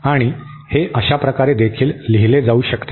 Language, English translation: Marathi, And this can also be written in this way